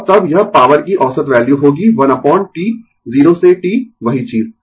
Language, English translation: Hindi, And then, it will be the average value of the power 1 upon T 0 to T same thing